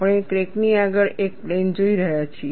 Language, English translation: Gujarati, We are looking at a plane ahead of the crack